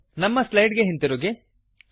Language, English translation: Kannada, We will move back to our slides